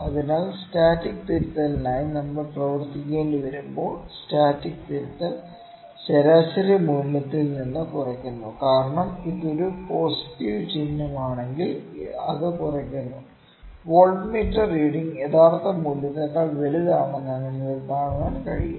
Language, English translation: Malayalam, So, when we need to work on the static correction static correction is subtracted from the mean value, because you know if it is a positive sign it is subtracted, you can see that voltmeter reading is greater than the true value